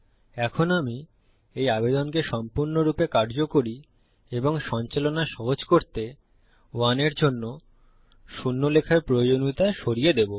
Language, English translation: Bengali, Now what I will do to make this application fully functional and easy to navigate, is eliminate the necessity to write zero for 1